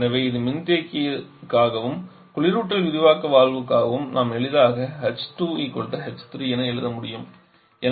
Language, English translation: Tamil, So this is for the condenser and for the refrigerant expansion valve we can easily write h2 = h3